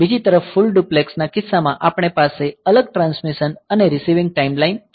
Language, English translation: Gujarati, On other hand in case of full duplex we have separate transmission and receiving time lines